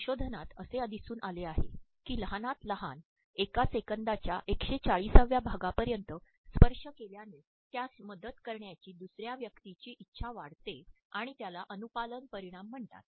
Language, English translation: Marathi, Can you get me that report; research shows that touch as short as 140 of a second will increase that other person’s willingness to help it is called the compliance effect